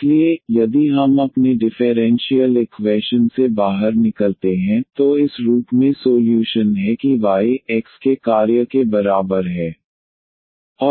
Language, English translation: Hindi, So, if we get out of our differential equation are the solution in this form that y is equal to function of x